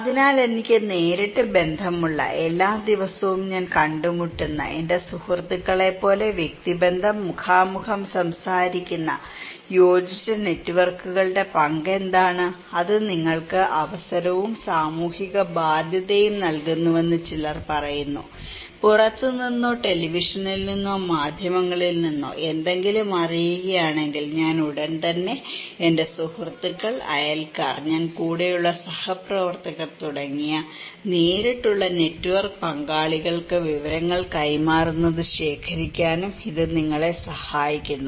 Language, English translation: Malayalam, So, what is the role of cohesive networks, with whom I have direct connections, every day I am meeting, talking face to face personal relationship like my friends, some are saying that it provides you the opportunity and social obligation, it is kind of, it also help you to collect that if I know something from outside or from any from televisions or mass media, I immediately pass the informations to my direct network partners like my friends, my neighbours, my co workers with whom I am very intimate, it is cohesive